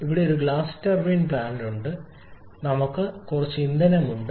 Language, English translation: Malayalam, We have a gas turbine plant where we are having some fuel